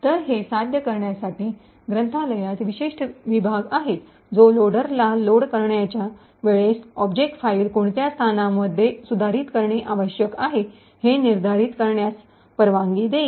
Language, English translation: Marathi, So, in order to achieve this there is special section in the library which will permit the loader to determine which locations the object file need to be modified at the load time